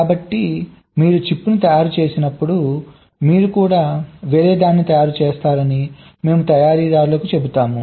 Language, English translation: Telugu, so so we tell the manufactures that when you manufacture the chip, you also manufacture something else